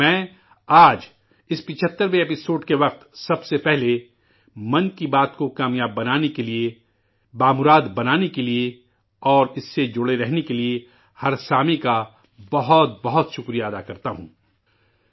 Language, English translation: Urdu, During this 75th episode, at the outset, I express my heartfelt thanks to each and every listener of Mann ki Baat for making it a success, enriching it and staying connected